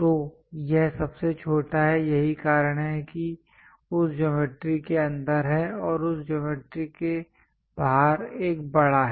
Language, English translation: Hindi, So, this is the smallest one that is a reason inside of that geometry near to that and the large one outside of that geometry